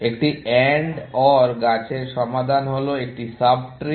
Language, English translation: Bengali, The solution in an AND OR tree is a sub tree